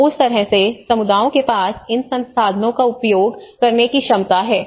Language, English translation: Hindi, So in that way communities tend to access these resources in whatever the capacities they have